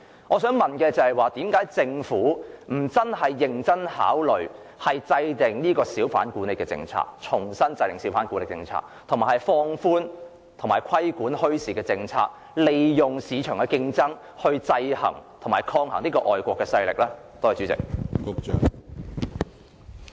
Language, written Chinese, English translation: Cantonese, 我想問政府為何不認真考慮重新制訂小販管理政策，以及考慮放寬相關政策和規管墟市，利用市場競爭來制衡和抗衡外國勢力？, May I ask the Government why it does not seriously consider formulating a hawker management policy afresh and relaxing the relevant polices and regulation on bazaars to create a competitive market to check and counteract such foreign forces?